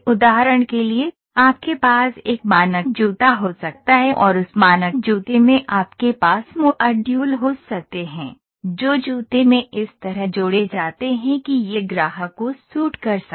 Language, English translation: Hindi, For example, you can have a standard shoe and in that standard shoe you can have modules, which are added to the shoe such that it can suit to the customer